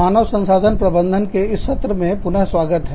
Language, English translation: Hindi, Welcome back, to the session on, Human Resources Management